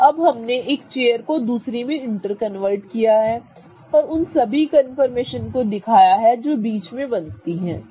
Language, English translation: Hindi, So, now we have interconverted one chair to another going through all the confirmations that typically take place